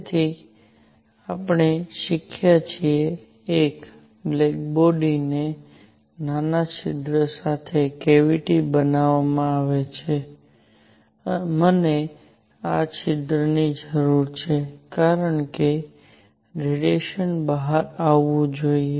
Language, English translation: Gujarati, So we have learnt: 1, a black body is made by making a cavity with a small hole in it, I need this hole because the radiation should be coming out